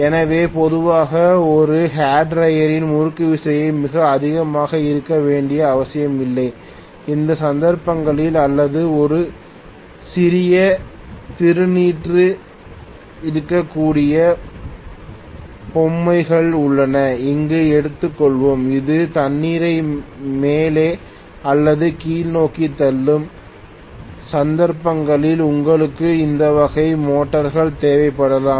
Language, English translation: Tamil, So typically in a hair dryer where the torque generated need not be very high, in those cases, or let us say there are toys where there may be a small fountain which is pushing the water up or down in those cases you may require these kinds of motors